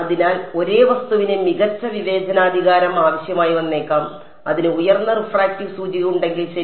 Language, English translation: Malayalam, So, the same object may need a better discretization; if it had a higher refractive index ok